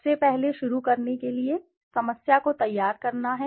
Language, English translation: Hindi, First, to start, begin with is to formulate the problem